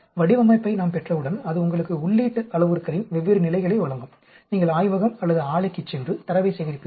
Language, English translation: Tamil, Once we have the design, which gives you the different levels of the input parameters, then you go to the lab or plant and collect the data